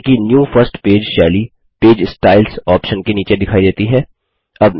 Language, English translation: Hindi, Notice that new first page style appears under the Page Styles options